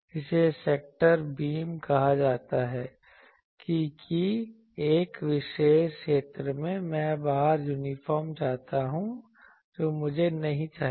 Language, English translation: Hindi, This is called sector beam that in a particular sector, I want uniform outside that I do not want